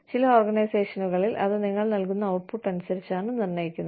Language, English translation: Malayalam, In some organizations, it is also determined, by the output, you have